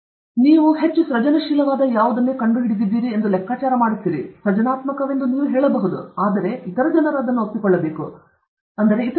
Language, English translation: Kannada, Same thing, you would have, you figure out that you have invented something which is highly creative; you may say it is creative creative, but other people have to accept it, isn’t it